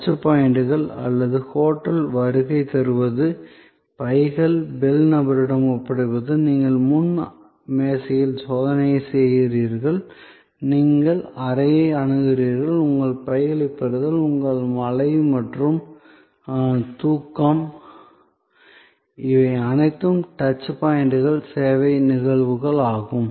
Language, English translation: Tamil, So, the touch points or arrival at the hotel, your handling over of the bags to the bell person, your checking in at the front desk, your accessing the room and receiving the bags, your shower and sleep, all of these are touch points service events